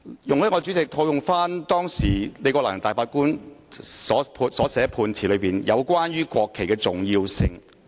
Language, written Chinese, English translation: Cantonese, 代理主席，容許我套用當時李國能大法官頒下的判詞中有關國旗重要性的部分。, Deputy President allow me to quote the part relating to the importance of the national flag in the judgment handed by Justice Andrew LI back then